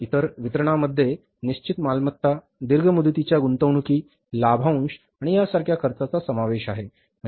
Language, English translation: Marathi, Other disbursements include outlays for fixed assets, long term investments, dividends and the like